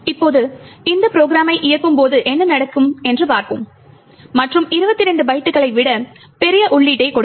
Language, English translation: Tamil, Now let us see what would happen when we run this program and give a large input which is much larger than 22 bytes